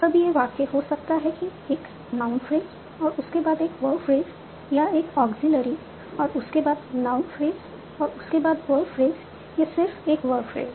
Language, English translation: Hindi, Now the sentence can be a noun phrase for by a verb fridge or an auxiliary followed by a noun fridge, wordfuge or a verb fridge